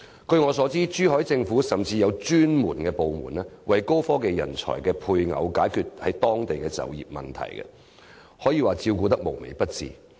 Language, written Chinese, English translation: Cantonese, 據我所知，珠海政府甚至設有專責部門，為高科技人才的配偶解決在當地就業的問題，可說是照顧得無微不至。, I know that the Zhuhai municipal government has even set up a special division dedicated to finding jobs for the spouses of high - tech talents in the city . This is indeed an example of the most comprehensive kind of care